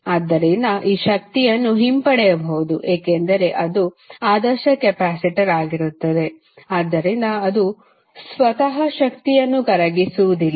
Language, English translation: Kannada, So, this energy can be retrieve because it is an ideal capacitor, so it will not dissipates energy by itself